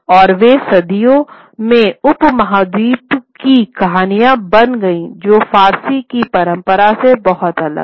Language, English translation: Hindi, They became much more subcontinental stories, very different from the tradition of the Persian